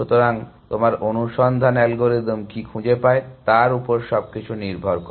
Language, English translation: Bengali, So, depends on what your search algorithm finds